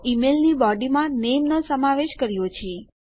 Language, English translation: Gujarati, So we have included the name inside the body of the email